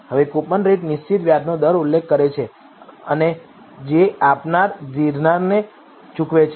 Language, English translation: Gujarati, Now, coupon rate refers to the fixed interest rate that the issuer pays to lender